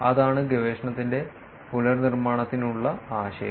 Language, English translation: Malayalam, That is the idea for reproducibility of the research